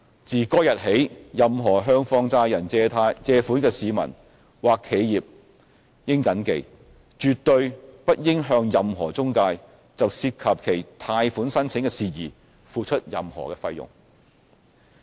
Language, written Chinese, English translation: Cantonese, 自該日起，任何向放債人借款的市民或企業應謹記，絕對不應向任何中介就涉及其貸款申請的事宜付出任何費用。, Since the taking effect of these conditions all individuals or enterprises should bear in mind that they absolutely should not pay any fee to any intermediary in respect of matters relating to their loan applications